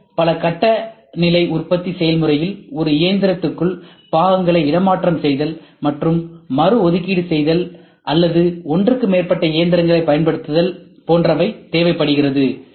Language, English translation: Tamil, CNC is likely to be multistage manufacturing process, requiring repositioning and reallocation of parts within one machine or use of more than one machine